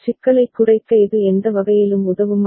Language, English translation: Tamil, Does it help in any way to reduce the complexity